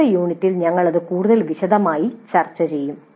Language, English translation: Malayalam, We will discuss this in greater detail in the next unit